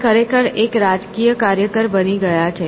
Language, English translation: Gujarati, So, he is actually become a political activist